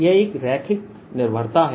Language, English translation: Hindi, right, that's a linear dependence